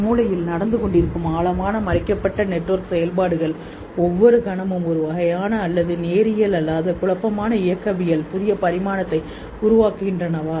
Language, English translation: Tamil, Is it the deeper hidden network operational which are going on in the brain which every moment are creating in a sort of non linear chaotic dynamics, new dimension